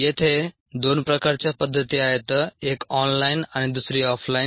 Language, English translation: Marathi, there are two kinds of methods: ah, one online and the other off line